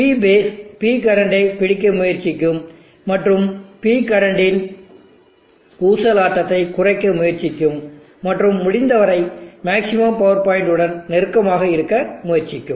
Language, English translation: Tamil, So the P base will try to catch up with P current and try to narrow down the swing of the P current and try to maintain as close to the maximum power point as possible